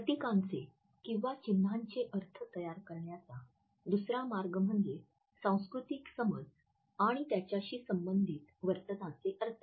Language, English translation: Marathi, The second way in which meaning of an emblem is constructed is through culturally learnt meanings and behavioral associations